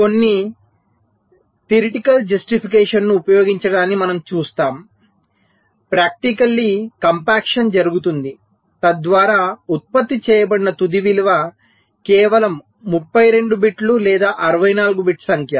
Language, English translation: Telugu, well, we shall see, using some theoretical justification, that practically compaction is done in such a way that the final value that is generated is just a thirty two bit or sixty four bit number